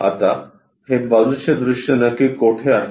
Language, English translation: Marathi, Now, where exactly we have this side view